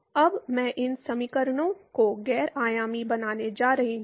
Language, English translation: Hindi, Now, I am going to non dimensionalize these equations